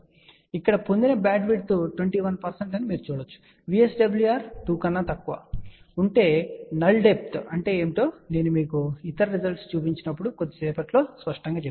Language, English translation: Telugu, You can see that the bandwidth obtained here is 21 percent, for VSWR less than 2 what is null depth it will be clear in a short while when I show you other result